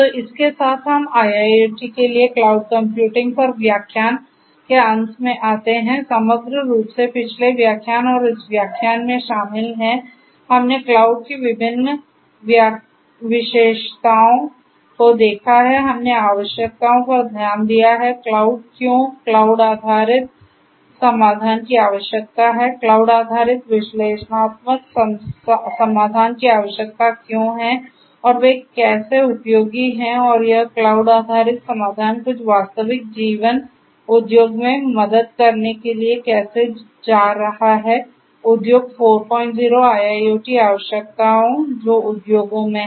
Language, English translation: Hindi, So, with this we come to an end of the lecture on cloud computing for IIoT, holistically previous lecture and this lecture onwards this lecture included, we have seen the different features of cloud we have looked at the requirements of cloud why cloud based solutions are required, why cloud based analytic solutions are required and how they are useful and how this cloud based solution is going to help in catering to certain real life industry 4